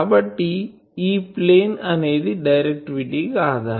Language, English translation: Telugu, So, this plane is the directivity reference